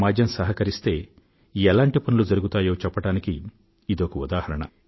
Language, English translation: Telugu, These are examples of how work can be achieved with the help of society